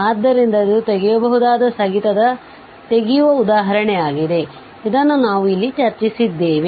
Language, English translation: Kannada, So, this is a removal example of removable discontinuity, which we have discussed here